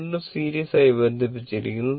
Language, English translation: Malayalam, These 2 are connected in series